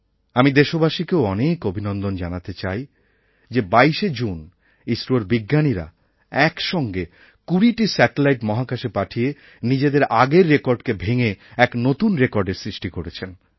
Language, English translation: Bengali, I also want to congratulate the people of the country that on 22nd June, our scientists at ISRO launched 20 satellites simultaneously into space, and in the process set a new record, breaking their own previous records